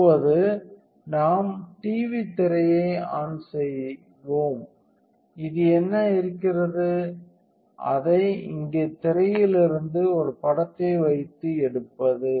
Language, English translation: Tamil, So, now, let us down we turn the TV screen on and what this is doing is taking it put an image from here onto the screen